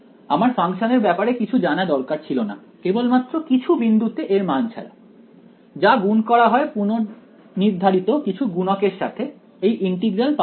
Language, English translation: Bengali, I do not need to know anything about the function except its values at some points, multiplied by precomputed weights I get the integral